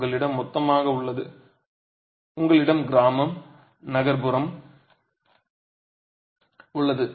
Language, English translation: Tamil, You have total, you have rural and you have urban